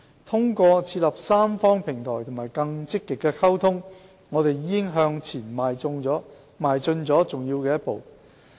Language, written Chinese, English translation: Cantonese, 通過設立三方平台和更積極的溝通，我們已向前邁進了重要的一步。, Through setting up a tripartite platform and more proactive communication we have already taken an important step forward